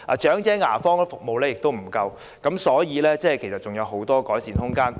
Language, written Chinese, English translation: Cantonese, 長者牙科服務亦不足，所以，各方面仍有很多改善空間。, Elderly dental services are also inadequate . Therefore there is still much room for improvement in various areas